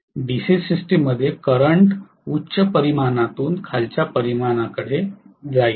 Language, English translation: Marathi, In DC systems the current will flow from a higher magnitude to the lower magnitude